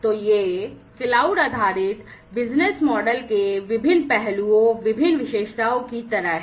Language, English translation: Hindi, So, then we have in the cloud based service models different aspects